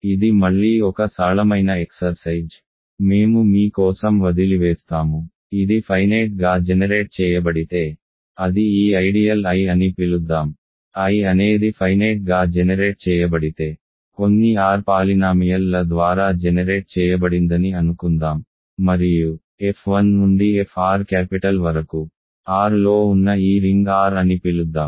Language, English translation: Telugu, This is a simple exercise again I will leave for you; suppose if it is finitely generated, it is generated by let us call this ideal I, if I is finitely generated let us say generated by some r polynomials and let us call this ring R where f 1 through f r are in capital R